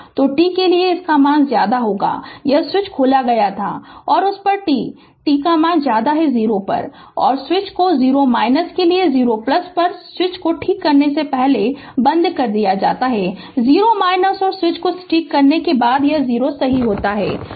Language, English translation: Hindi, So, at your for t less than 0 this switch was opened and at t at that at your what you call; at t greater than 0 the switch is closed right 0 minus of 0 plus just before switching it is 0 minus and just after switching it is 0 plus right